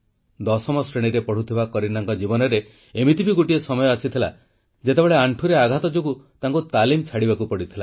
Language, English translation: Odia, However there was a time for Kareena, a 10th standard student when she had to forego her training due to a knee injury